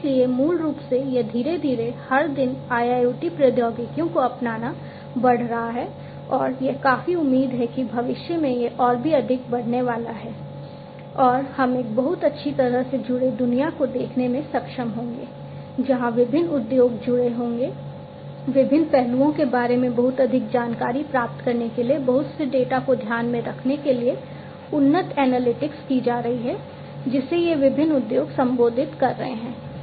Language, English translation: Hindi, And so, basically it is gradually, you know, every day the adoption of IIoT technologies is increasing and it is quite expected that in the future it is going to increase even further and we would be able to see a very well connected world, where different industries are connected advanced analytics are being carried on to get to mind in lot of data to get lot of insight about the different aspects, that these different industries are addressing